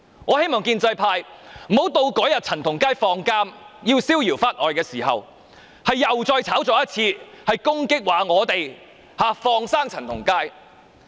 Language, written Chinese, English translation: Cantonese, 我希望建制派不要到陳同佳出獄，逍遙法外的時候，又再炒作一次，攻擊我們，說我們"放生"陳同佳。, We hope that the pro - establishment camp will not once again hype up the incident upon the release of CHAN Tong - kai and attack us by saying that we let him get off the hook